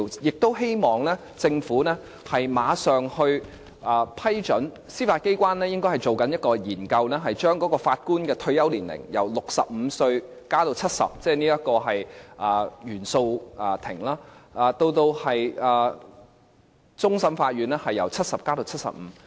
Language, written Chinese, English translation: Cantonese, 我希望政府馬上批准司法機關進行一項研究，將原訴庭法官的退休年齡，由65歲延至70歲，而終審法院法官的退休年齡，由70歲延至75歲。, I hope the Government can immediately approve the study initiated by the Judiciary to extend the retirement age for judges of the Court of First Instance from 65 to 70 and that for the judges of the Court of Final Appeal from 70 to 75